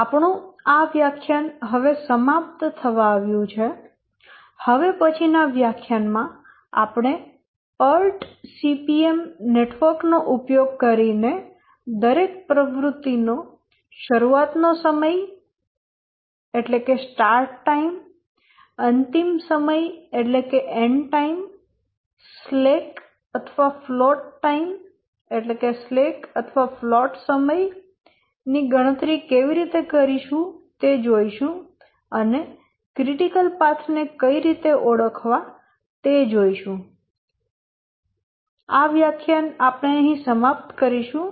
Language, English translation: Gujarati, We are almost at the end of this lecture and in the next lecture we will discuss how to use the PUT CPM network to compute for each activity the start times, end times, the slack or the float time that is available and so on and also identify the critical paths